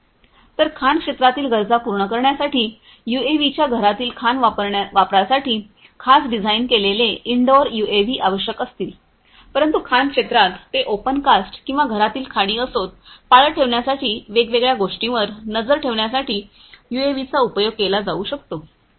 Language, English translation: Marathi, So, indoor mining use of UAVs will require specially designed indoor UAVs for catering to the requirements of the mining sector, but in the mining sector whether it is open cast or indoor mines, the UAVs could be used to monitor you know to monitor different things for surveillance